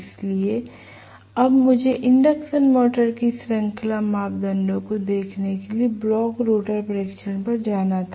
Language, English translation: Hindi, So, now I had to go on to the blocked rotor test to look at the series parameters of the induction motor